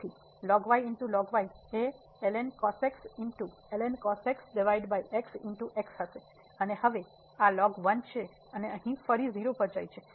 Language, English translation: Gujarati, So, will be over and now this is and here again goes to 0